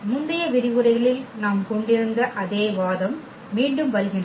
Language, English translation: Tamil, Again the same argument which we had in the previous lectures